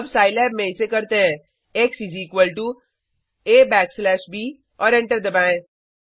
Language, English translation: Hindi, Lets do this in Scilab x is equal to A backslash b and press enter